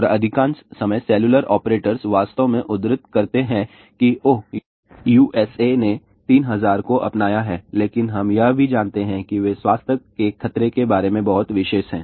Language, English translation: Hindi, And most of the time cellular operators actually code that, oh USA has adopted 3000 , but we also know that they are very particular about the health hazard